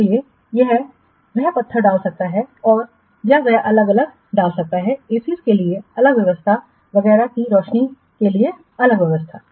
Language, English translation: Hindi, So, he may put marbles or who may put different what different arrangements for ACs, different arrangements for lighting, etc